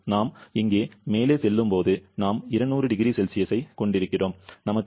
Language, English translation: Tamil, As we are moving up here, we are having around 200 degree Celsius, we are having an error of 0